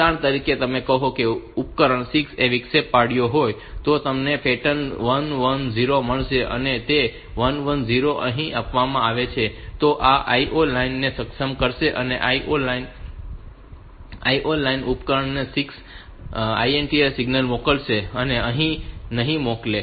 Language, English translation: Gujarati, So, here you will get the pattern 1 1 0 and that 1 1 0 being fed here will enable this O 6 line and O 6 line will send the INTA signal to the device 6 others will not